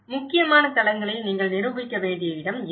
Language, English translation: Tamil, And this is where you need to demonstrate at important sites